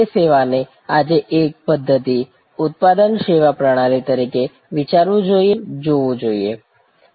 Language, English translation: Gujarati, That service today must be thought of as a system, product service system and it must be looked at from different perspectives